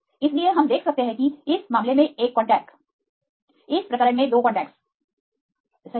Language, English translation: Hindi, So, we can see is one contact in this case 2 contact right